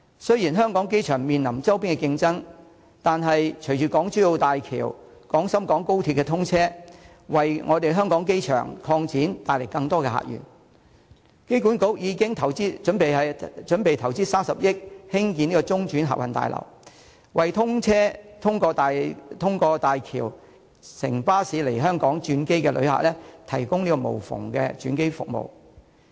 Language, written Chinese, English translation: Cantonese, 雖然香港機場面臨周邊的競爭，但隨着港珠澳大橋和廣深港高鐵通車，為香港機場擴展更多的客源，香港機場管理局已準備投資30億元興建中轉客運大樓，為通過大橋乘巴士來香港轉機的旅客提供無縫的轉機服務。, Even though HKIA faces competition from the nearby areas the commissioning of HZMB and XRL will open up more visitor sources for HKIA . The Airport Authority Hong Kong is going to invest 3 billion in the development of a transit terminal to provide seamless air transit services for passengers transiting via Hong Kong who arrived by bus through HZMB